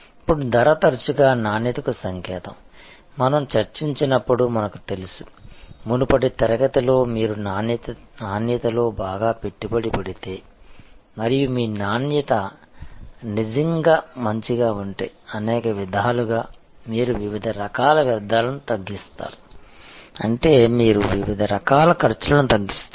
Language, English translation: Telugu, Now, price is often also a signal for quality, we know now as we discussed I think in the previous session that if you invest well in quality and if your quality is really good, then in many ways you will be reducing waste of different kinds, which means you will reduce costs of different kind